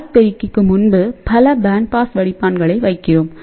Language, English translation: Tamil, Now before this RF amplifier, many a times, we also put a band pass filter here